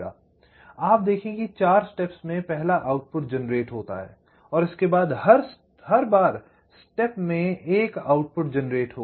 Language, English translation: Hindi, you see, after four times steps, the first output is generated and after that, in every time steps, one output will get generated